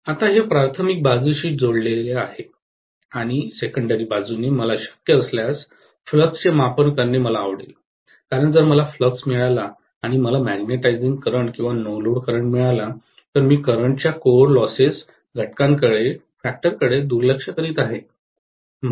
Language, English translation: Marathi, Now this is connected to the primary side and on the secondary side I would like to get the measure of the flux if I can, because if I get the flux and if I get the magnetising current or the no load current, I am going to neglect the core loss component of current